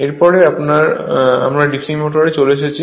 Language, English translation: Bengali, So, we start with DC motors